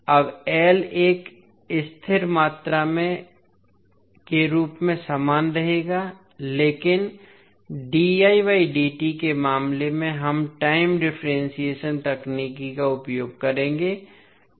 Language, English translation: Hindi, Now, l will remain same being a constant quantity, but in case of dI by dt we will use time differentiation technique